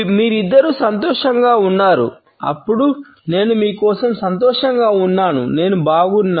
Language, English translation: Telugu, You two are happy then I am happy for you I am fine